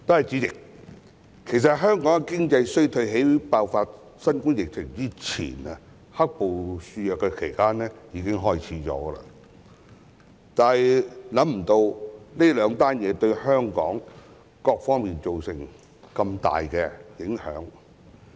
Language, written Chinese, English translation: Cantonese, 主席，其實香港的經濟衰退在爆發新冠肺炎前、"黑暴"肆虐時已開始，但卻未想到兩者的出現會對香港各方面造成如此大的影響。, President in fact the economic downturn in Hong Kong started before the outbreak of COVID - 19 and when the black - clad violence was in full swing but we did not expect that the two would have such a great impact on various aspects of Hong Kong